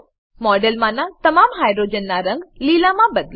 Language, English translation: Gujarati, Change the color of all the hydrogens in the model to Green